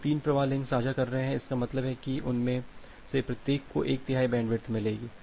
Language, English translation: Hindi, So, 3 flows are sharing the link means each of them will get one third of the bandwidth